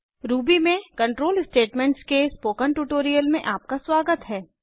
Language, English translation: Hindi, Welcome to the spoken tutorial on Control Statements in Ruby